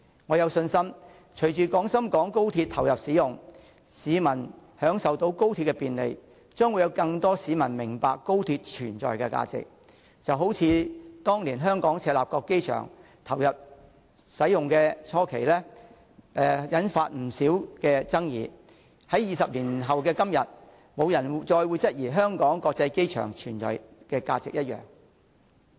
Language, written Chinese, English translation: Cantonese, 我有信心隨着廣深港高鐵投入使用，市民享受到高鐵的便利，將會有更多市民明白高鐵存在的價值，就好像當年香港赤鱲角機場投入使用初期，曾引發不少爭議，但在20年後的今天，沒有人會再質疑香港國際機場的存在價值。, I am confident that after the commissioning of XRL more people will experience the convenience it brings and hence appreciate XRLs value of existence . As in the case of the Hong Kong International Airport in Chek Lap Kok there were great controversies when the airport was first commissioned but today after 20 years no one will doubt its value of existence any more